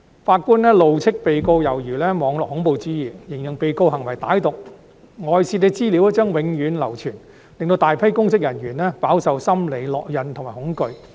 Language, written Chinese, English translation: Cantonese, 法官怒斥被告猶如施行"網絡恐怖主義"，形容被告行為歹毒；外泄資料將永久流傳，令大批公職人員飽受心理烙印和恐懼。, The judge berated the defendant for her behaviour bordering on cyberterrorism and describing it as vicious because the leaked information would be circulated permanently leaving a large number of public officers to suffer from psychological trauma and fear